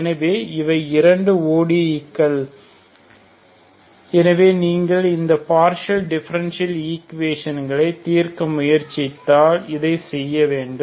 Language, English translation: Tamil, So these are the two ODE’s so you have to solve so if you do this if you try to solve this partial differential equations